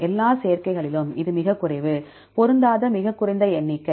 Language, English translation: Tamil, Among all the combinations, this is very low, the lowest number of mismatch